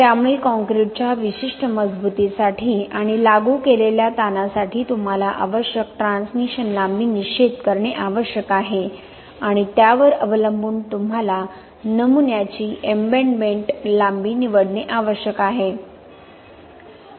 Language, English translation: Marathi, So for a particular strength of concrete and the stress applied, you need to determine the transmission lengths required and depending on that you need to choose the embedment length of the specimen